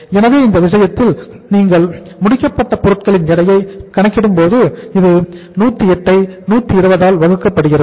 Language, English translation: Tamil, So in this case when you calculate the weight of the finished goods this is 108 uh divided by the 120